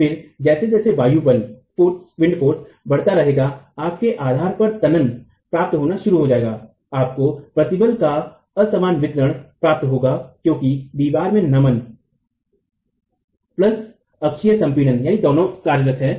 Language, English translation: Hindi, Then as the wind forces keep increasing, you can start getting tension at the base, you get a non uniform distribution of the stresses because of the bending plus the axial compression in the wall